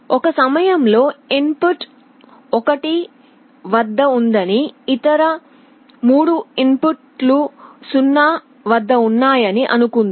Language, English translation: Telugu, Let us say we assume that at a time one of the input is at 1, other 3 inputs are at 0